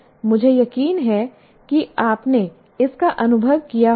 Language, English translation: Hindi, I'm sure you would have experienced that